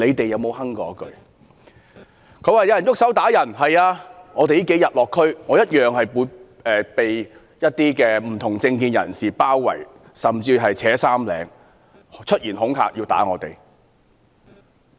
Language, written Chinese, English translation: Cantonese, 有議員說有人動手打人，是的，我這數天落區，同樣被不同政見人士包圍、扯衣領，甚至出言恐嚇要打我。, Some Members claim they have been hit . Yes in the past few days when I made district visits I was also mobbed . My clothes were pulled in the scuffles